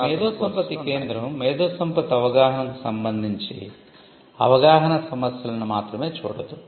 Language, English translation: Telugu, So, the IP centre would not only look at awareness issues with regard to awareness of IP it would also be looking at IP education